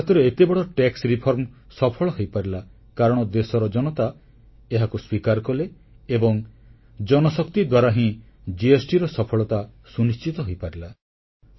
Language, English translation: Odia, The successful implementation of such a huge tax reform in India was successful only because the people of the country adopted it and through the power of the masses, fuelled the success of the GST scheme